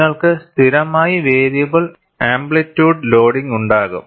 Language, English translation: Malayalam, You will invariably have, variable amplitude loading